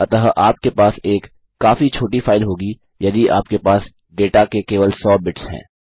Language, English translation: Hindi, So youâeurotradell have a very small file if you have only hundred bits of data